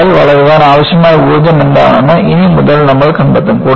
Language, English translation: Malayalam, From, then on, we will find out, what is energy for require for the crack to grow